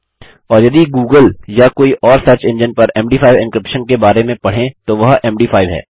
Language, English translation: Hindi, And if you read up on Google or any search engine about MD5 encryption thats M D 5